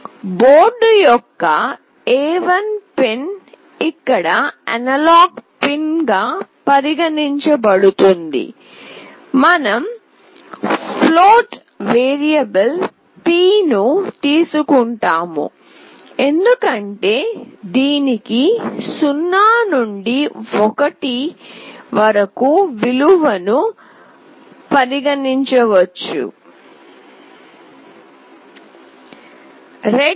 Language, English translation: Telugu, The A1 pin of the board is considered as the analog pin here, we take a float variable p because it will get a value ranging from 0 to 1